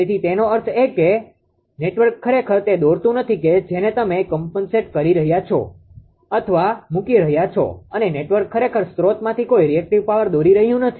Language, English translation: Gujarati, So that means, the network is actually not drawing that your that whatever compensating you are putting network actually not drawing any reactive power from the source